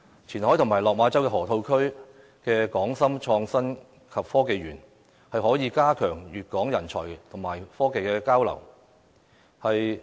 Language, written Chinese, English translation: Cantonese, 前海及落馬州河套區的"港深創新及科技園"，可以加強粵港人才和技術交流。, Both Qianhai and the Hong KongShenzhen Innovation and Technology Park in the Lok Ma Chau Loop will provide platforms to enhance talent and technology exchange between Guangdong and Hong Kong